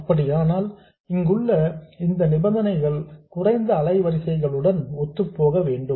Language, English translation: Tamil, In that case these conditions here have to be satisfied for the lowest of the frequencies